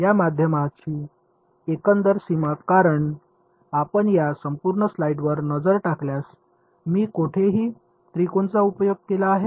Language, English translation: Marathi, Overall boundary of this medium because if you look at this entire slide have I made any use of the triangle anywhere